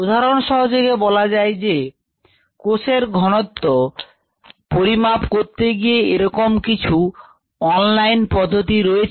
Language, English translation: Bengali, for example, if we look at measuring cell concentration, there are a few online methods